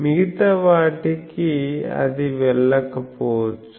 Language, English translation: Telugu, For others, it may not go